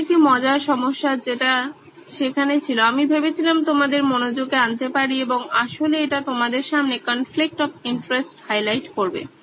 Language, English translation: Bengali, This is a fun problem that was there I thought I could bring this to your attention and actually highlight the conflict of interest for you